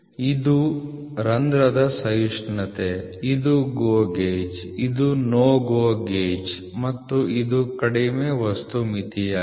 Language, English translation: Kannada, This is the tolerance of the hole this is a GO gauge, this is NO GO gauge and this is the lower material limit